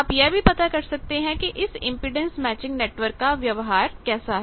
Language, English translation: Hindi, You can find out that what is the behaviour of the impedance matching network